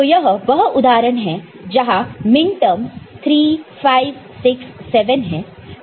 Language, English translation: Hindi, So, this is example where m minterms 3 5, 6, 7 ok